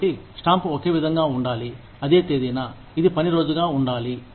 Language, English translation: Telugu, So, the stamp should be the same, on the same date, which has to be working day